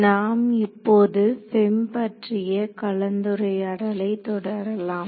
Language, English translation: Tamil, So we will continue our discussion of the FEM